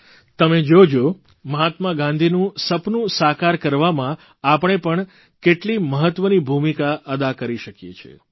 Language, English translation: Gujarati, And witness for ourselves, how we can play an important role in making Mahatma Gandhi's dream come alive